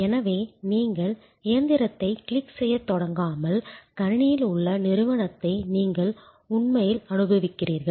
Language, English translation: Tamil, So, that you do not start clicking the machine you rather actually enjoying the company on the machine